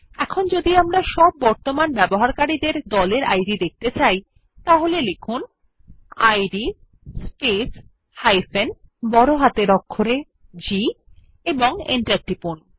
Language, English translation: Bengali, If we want to view all the current users group IDs, type id space G and press Enter